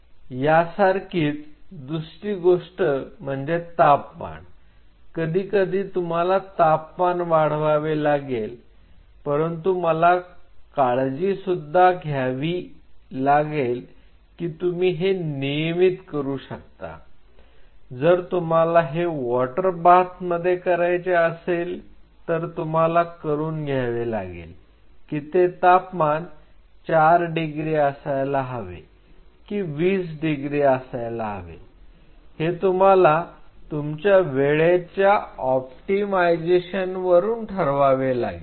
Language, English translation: Marathi, Second thing in the same line temperature sometimes I may need to raise the temperature, but you have to be careful whether you can do it in regular you know or you want to do it in a water bath of say like you know 4 degree or you want to do it at 20 degree that decision you have to figure out over a period of time of optimization